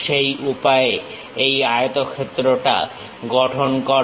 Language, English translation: Bengali, In that way construct this rectangle